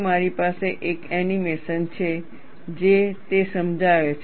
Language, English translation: Gujarati, I have an animation which explains that